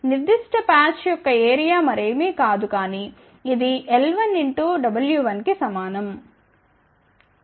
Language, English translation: Telugu, So, the area of that particular patch will be nothing, but equal to l 1 multiplied by w 1